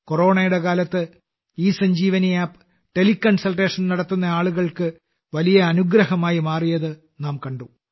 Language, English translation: Malayalam, We have seen that in the time of Corona, ESanjeevani App has proved to be a great boon for the people